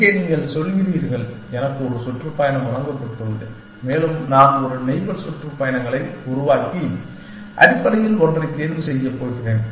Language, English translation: Tamil, Here you are saying, I have one tour given to be and I am going to produce a set up neighborhood tours and choose one of the essentially